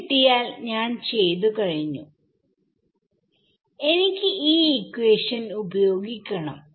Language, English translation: Malayalam, Once I get it once then I am done then I need to use this equation right